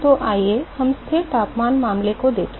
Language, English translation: Hindi, So, let us look at the constant temperature case